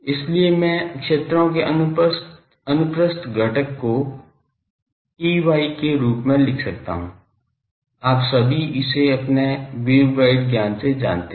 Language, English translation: Hindi, So, I can write the transverse component of the fields as Ey, all of you know this from your waveguide knowledge